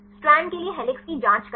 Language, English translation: Hindi, Check for helix check for strand